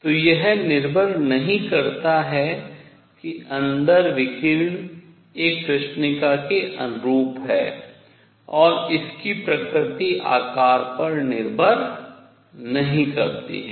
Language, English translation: Hindi, So, it does not depend radiation inside is that corresponding to a black body and its nature does not depend on the shape